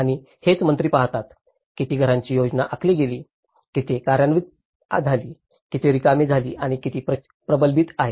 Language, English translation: Marathi, And that is what ministers look at, how many number of houses were planned, how many have been executed, how many have been laid out and how many are pending